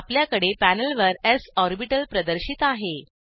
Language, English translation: Marathi, We have s orbital displayed on the panel